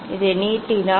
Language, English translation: Tamil, if you extend this